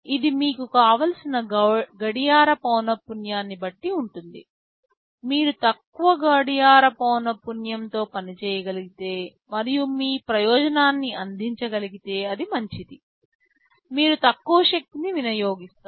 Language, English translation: Telugu, ISo, it depends upon you what clock frequency do you want, if you can operate with a lower clock frequency and serve your purpose it is fine, you will be you will be consuming much lower power